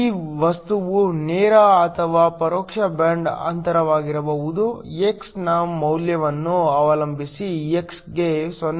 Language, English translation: Kannada, This material can be a direct or an indirect band gap depending upon the value of x for x less than 0